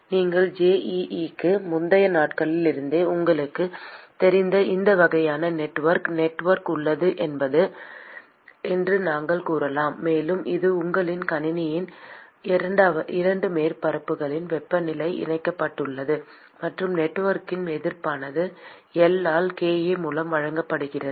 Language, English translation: Tamil, And this sort of network you are familiar with from your pre JEE days, where we can say that there is a network; and it is connected by the temperature of the two surfaces of your system; and the resistance of the network is given by L by kA